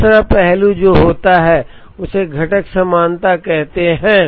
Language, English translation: Hindi, The second aspect that happens is called component commonality